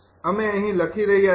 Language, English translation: Gujarati, i have written here also